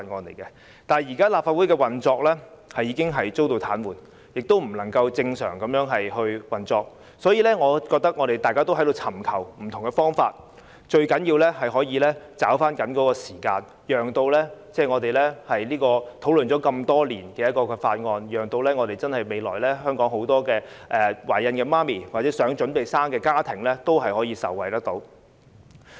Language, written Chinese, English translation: Cantonese, 然而，現時立法會的運作已經遭到癱瘓，不能正常運作，大家也在尋求不同的解決方法，我覺得最重要的是捉緊時間，讓這項討論多年的《條例草案》可以讓香港很多懷孕婦女或未來打算準備生育小朋友的家庭也可以受惠。, But now the Legislative Council is paralysed and cannot resume its normal operation . We are finding different ways to solve this problem . I hold that the most important thing is to grasp the time and let the Bill which has been discussed for years benefit pregnant women or families with a child - bearing plan